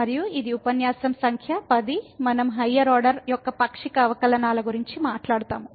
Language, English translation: Telugu, And this is lecture number 10 we will be talking about Partial Derivatives of Higher Order